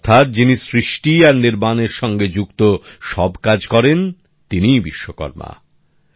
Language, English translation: Bengali, Meaning, the one who takes all efforts in the process of creating and building is a Vishwakarma